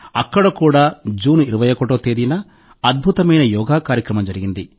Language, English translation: Telugu, Here too, a splendid Yoga Session was organized on the 21st of June